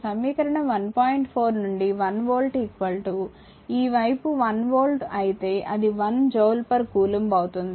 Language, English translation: Telugu, 4 it is evident that 1 volt is equal to if it is this side is 1 volt it will be 1 joule per coulomb